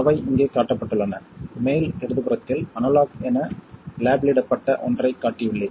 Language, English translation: Tamil, At the top left, I have shown something that is labeled as analog